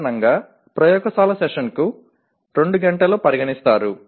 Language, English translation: Telugu, Normally laboratory session is considered to be 2 hours